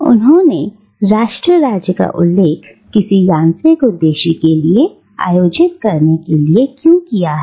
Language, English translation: Hindi, Why does he refer to nation state as something which is organised for a mechanical purpose